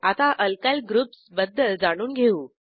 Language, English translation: Marathi, Now I will explain about Alkyl groups